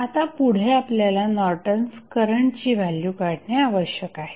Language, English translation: Marathi, So, next what we need to do, we need to just find out the value of Norton's resistance